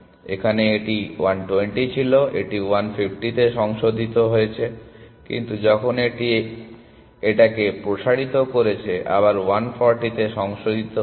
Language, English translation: Bengali, Here it was 120 it got revised to 150, but when this expanded this it got again revised to 140 essentially